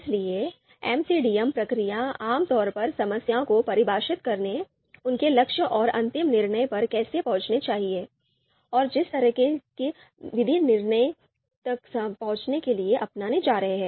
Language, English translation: Hindi, So focusing on defining the problem, their goals and how the final decision should be reached, the kind of method that we are going to adopt to reach the decision